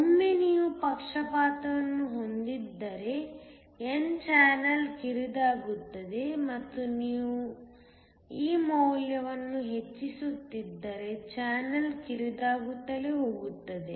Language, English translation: Kannada, Once you have a bias the n channel becomes narrow and if we keep on increasing this value the channel will become narrower and narrower